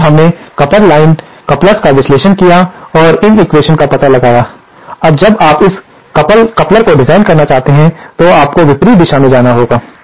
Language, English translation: Hindi, So, we have analysed the coupled line couplers and found out these equations, now when you want to design this coupler, you have to have however go in the opposite direction